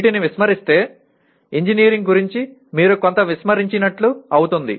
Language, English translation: Telugu, If these are ignored, something about engineering is you are removing